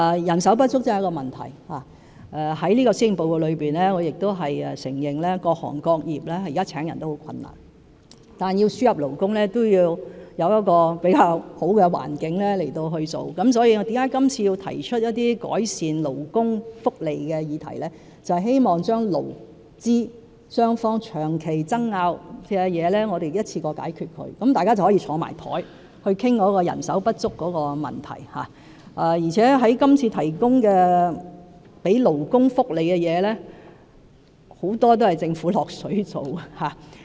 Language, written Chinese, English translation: Cantonese, 人手不足確實是個問題，在這份施政報告中，我亦承認各行各業現時聘請人手都很困難，但要輸入勞工，也必須有較佳的環境，所以，我今次提出一些改善勞工福利的議題，便是希望將勞資雙方長期爭拗的事情一次過解決，讓大家可以坐在一起，討論人手不足的問題，而且今次為勞工提供的福利，很多也是由政府"落水"做的。, In this Policy Address I also admitted that various sectors have encountered difficulties in staff recruitment but for the purpose of labour importation there must be a good environment . This is why I have raised some issues of improvement for labour welfare in the hope that those issues over which there have long - standing disputes between employers and employees can be resolved in one go . It is hoped that they can come together to discuss the question of labour shortage and what is more many of the benefits proposed for workers this time around will be financed by the Government